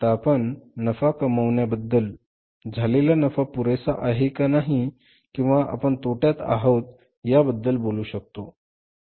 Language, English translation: Marathi, Now we talk about that if we are say earning the profit whether profit is sufficient or not we are into the losses